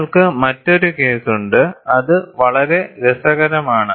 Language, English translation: Malayalam, And you have another case, which is very interesting